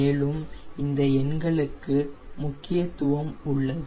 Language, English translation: Tamil, and these numbers haves significance